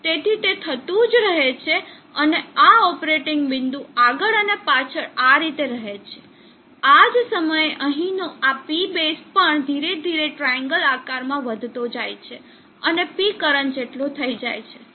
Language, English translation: Gujarati, So it moves to the left so it keeps on happening and this operating point keeps moving back and forth like this same time this P base here is also moving up triangle catch up with P current slowly